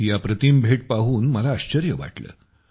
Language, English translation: Marathi, I was surprised to see this wonderful gift